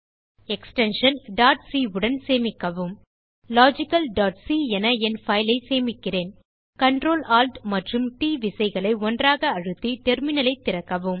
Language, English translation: Tamil, Save it with extension .c I have saved my file as logical.c Open the terminal by pressing Ctrl, Alt and T keys simulataneously